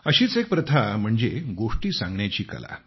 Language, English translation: Marathi, And, as I said, one such form is the art of storytelling